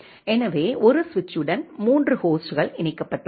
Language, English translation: Tamil, So, three hosts are connected to one switch